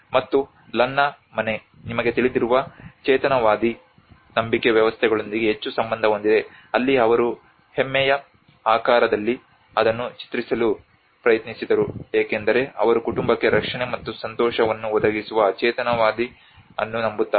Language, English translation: Kannada, And the Lanna house is very much linked to the animist approach you know the animist beliefs systems that is where they tried to portray that in the shape of a buffalo because they believe in animism which is providing the protection and happiness to the family